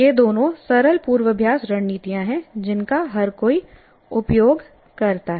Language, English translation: Hindi, These two are very familiar rehearsal strategies everybody uses